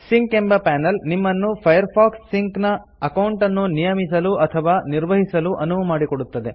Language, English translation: Kannada, The Sync panel lets you set up or manage a Firefox Sync account